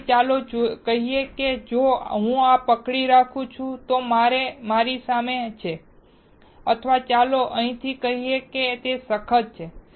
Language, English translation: Gujarati, So, let us say if I hold this, right in front of me or let us say from here and it is stiff